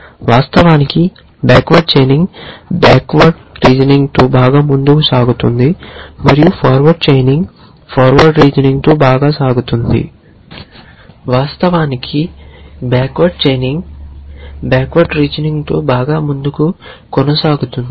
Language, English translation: Telugu, So, by and large of course, backward chaining goes well with backward reasoning and forward chaining goes well with forward reasoning